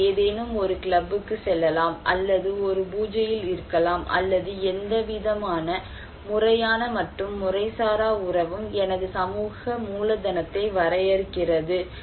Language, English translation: Tamil, Like I can go to some club or maybe in a puja or in so any kind of formal and informal relationship defines my social capital